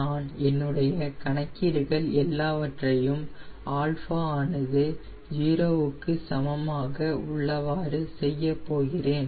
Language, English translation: Tamil, so i will be doing all my calculations at alpha equals zero